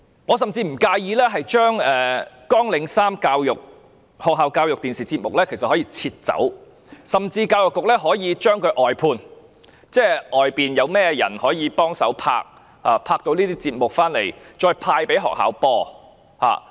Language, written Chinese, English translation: Cantonese, 我甚至不介意將綱領3學校教育電視節目刪除，而教育局甚至可以將這些節目外判，交由坊間製作，然後派給學校播放。, Actually I do not mind deleting programme 3 school education television programme from RTHK whereas the Education Bureau may outsource the production of these programmes to the community and distribute them to schools for viewing